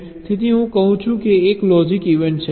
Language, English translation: Gujarati, so i say that there is a logic event list